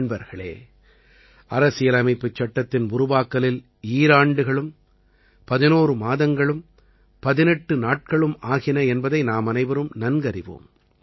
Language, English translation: Tamil, Friends, all of us know that the Constitution took 2 years 11 months and 18 days for coming into being